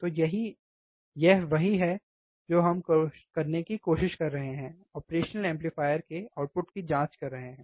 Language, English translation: Hindi, So, that is what we are trying to do, of checking the output of the operational amplifier